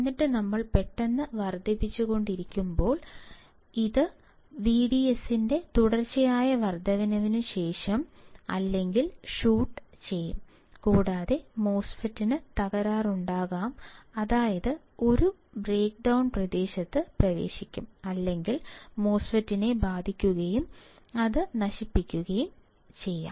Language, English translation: Malayalam, And then when we keep on increasing suddenly it shoots up after or continuous increase in the V D S and the MOSFET may get breakdown or enters a breakdown region or the MOSFET may get affected and it may get destroyed